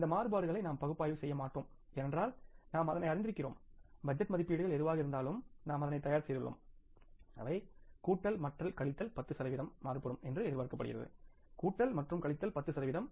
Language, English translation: Tamil, We will not analyze these variances because we all know it that whatever the budget estimates we have prepared, they are expected to vary plus and minus 10 percent by plus and minus 10 percent